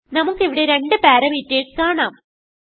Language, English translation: Malayalam, And here we are passing only one parameter